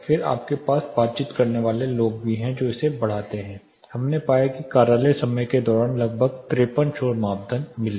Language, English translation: Hindi, Then you also have people conversing which also increases it, we found we got around 53 noise criteria doing during office hours